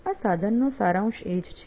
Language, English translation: Gujarati, That's the essence of the tool